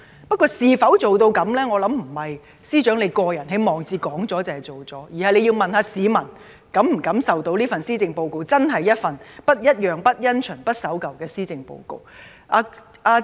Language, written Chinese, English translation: Cantonese, 不過，能否辦到，我相信並非司長在個人網誌發表了便當做了，而是要問市民，他們是否感受到這份施政報告是真正的"不一樣、不因循、不守舊"。, However whether it can be done I believe is not to be determined by the Chief Secretary by writing the objectives in his blog; rather he has to ask the public if they have a feeling that the Policy Address is truly unusual untraditional and unconventional